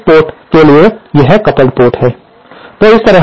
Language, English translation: Hindi, So, for this port, this is the coupled port